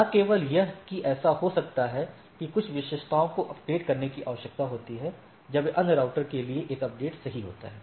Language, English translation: Hindi, So, not only that it may so happen that some of the attributes need to be updated when there is a update to the other routers right